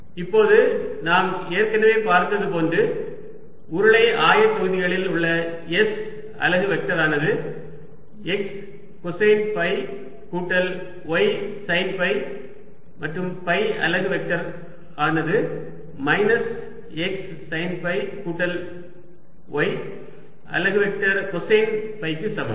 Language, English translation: Tamil, now we have already seen that s unit vector in cylindrical coordinates is nothing but x, cosine phi plus y sine phi and phi unit vector is equal to minus x sine phi plus y unit vector cosine phi, and therefore i can write x unit vector as s cos phi minus phi unit vector sine phi